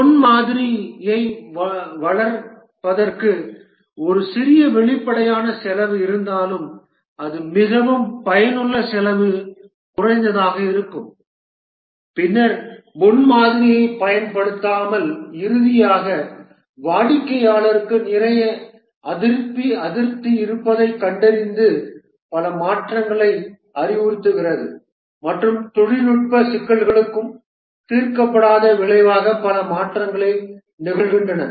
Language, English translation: Tamil, That would incur massive redesign costs and even though there is a small upfront cost of developing the prototype but that will be more effective cost effective then not using the prototype and finally finding out that the customer has lot of dissatisfaction and suggests many changes and also the technical issues are unresolved as a result many changes occur